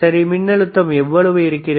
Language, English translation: Tamil, All right so, what is the voltage